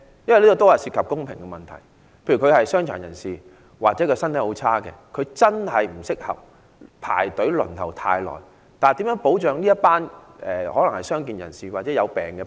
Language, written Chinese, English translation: Cantonese, 因為這涉及公平問題，例如傷殘人士或身體虛弱的人不適宜長時間排隊輪候，如何保障這群傷健或患病人士？, This involves the issue of fairness . For example people with physical disabilities or people in poor health should not queue up for a long time . How can we safeguard these peoples right to vote?